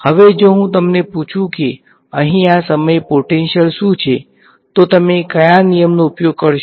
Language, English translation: Gujarati, Now, if I ask you what is the potential at this point over here, how what law would you use